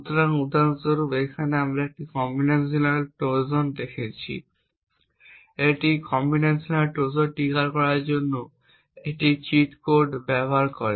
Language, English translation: Bengali, So, for example over here we have shown a combinational Trojan this combinational Trojan uses a cheat code to trigger